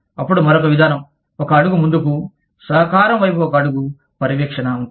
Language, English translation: Telugu, Then, the other approach could be, one step further, one step towards a collaboration, would be monitoring